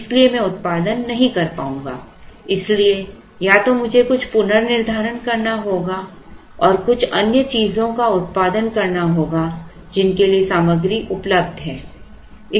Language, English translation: Hindi, So, I would not be able to produce, so either I have to do some rescheduling and produce some other things for which material is available